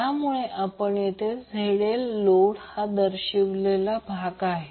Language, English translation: Marathi, So, that is why here we are representing load with ZL